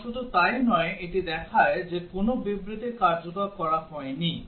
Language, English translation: Bengali, And not only that, it also shows which statements have not been executed